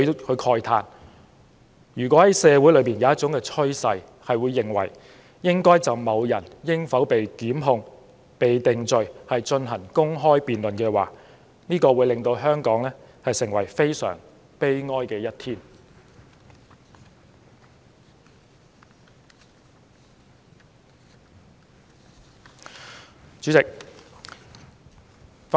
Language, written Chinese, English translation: Cantonese, 他慨嘆若社會有一種趨勢認為應就某人應否被檢控和定罪進行公開辯論，這會是香港非常悲哀的一天。, He expressed his lamentation that it would be a very sad day for Hong Kong if it has become a social trend that open debates should be held to discuss whether a certain person should be prosecuted and convicted